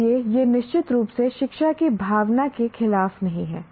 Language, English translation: Hindi, So it is certainly not against the spirit of education